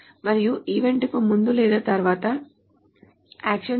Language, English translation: Telugu, And the action can be done either before or after the event